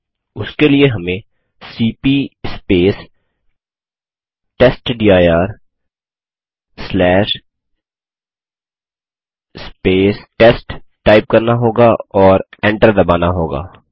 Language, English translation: Hindi, For that we would type cp testdir/ test and press enter